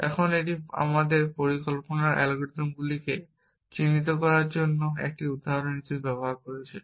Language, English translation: Bengali, Now, this is just using as a example to illustrate our planning algorithms